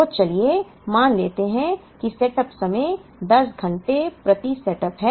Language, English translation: Hindi, So, let us assume that the setup time is 10 hours per setup